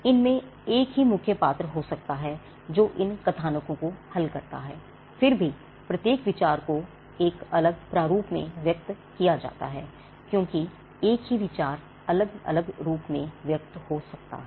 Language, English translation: Hindi, It could be the same idea it could be the same main character who solves these plots, nevertheless each idea is expressed in a different format and because it is expressed in a different form each idea as it is expressed in a different form can have a separate right